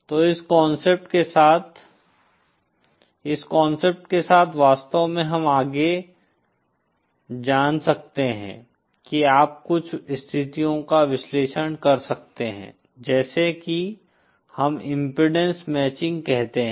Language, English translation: Hindi, So with this concept, h with this concept with this concept actually we can further you know analyze some situations like what we call impedance matching